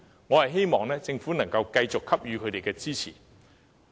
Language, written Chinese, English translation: Cantonese, 我希望政府能夠繼續給予支持。, I hope the Government can continue to give them support